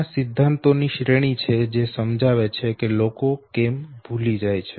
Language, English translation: Gujarati, There are series of theories which explains why people forget